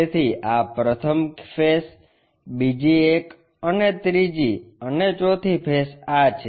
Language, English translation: Gujarati, So, this is the first face, second one and third and forth faces